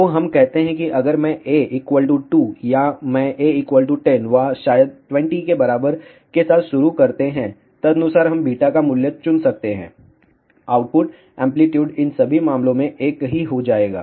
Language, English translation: Hindi, So, let us say if I start A equal to 2 or I start with A equal to 10 or maybe a equal to 20 correspondingly we can choose the value of beta, will the output amplitude be same in all these cases